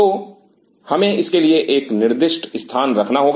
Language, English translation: Hindi, So, we have to have a designated spot for it